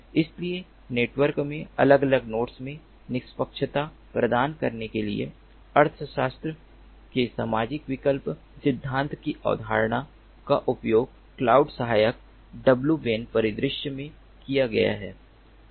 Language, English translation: Hindi, so concept of social choice theory, of economics has been used in order to, in order to impart fairness to the different nodes in the network in a cloud assistant w ban scenario